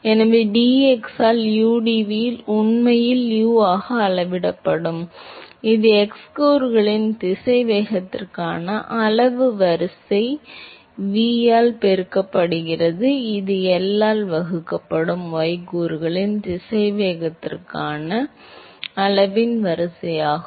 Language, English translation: Tamil, So, udv by dx would actually scale as U that is the order of magnitude for the x component velocity multiplied by V, which is the order of magnitude for the y component velocity divided by L